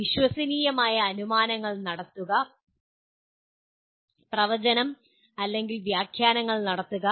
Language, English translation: Malayalam, Making plausible inferences, prediction or interpretations